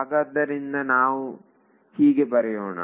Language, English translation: Kannada, So, that is how I will write this